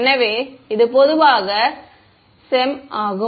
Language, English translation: Tamil, So, this is CEM in general ok